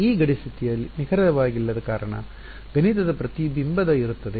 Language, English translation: Kannada, Because this boundary condition is not exact, there will be a mathematical reflection right